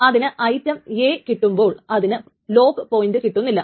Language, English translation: Malayalam, So once it gets item A, it still not got hold of the lock point